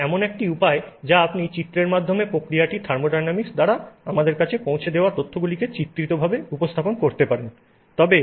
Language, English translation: Bengali, This is a way in which you can pictorially represent the information that is conveyed to us by the thermodynamics of the process